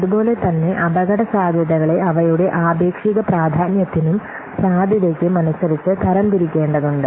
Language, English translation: Malayalam, Then we have to classify by using the relative importance and the likelihood